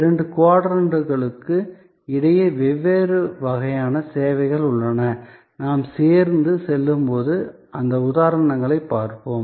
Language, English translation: Tamil, So, there are different kinds of services, which set between the two quadrants and we will see those examples as we go along